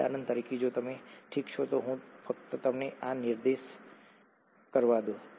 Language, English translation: Gujarati, For example, if you, okay let me just point this out to you